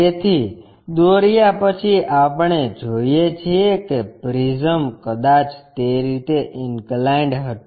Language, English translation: Gujarati, So, after drawing we see that the prism perhaps inclined in that way